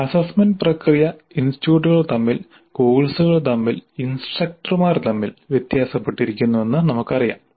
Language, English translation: Malayalam, We know that the assessment process varies considerably from institute to institute and from course to course and from instructor to instructor also